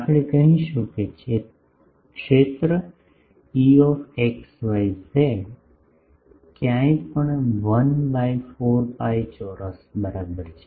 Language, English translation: Gujarati, We will say the field is E x y z anywhere is equal to 1 by 4 pi square ok